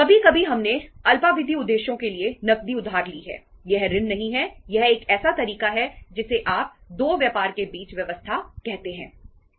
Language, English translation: Hindi, Sometimes we have borrowed cash for short term purposes so we have to itís not a loan, itís a you can call it as a other way around arrangement between say the two business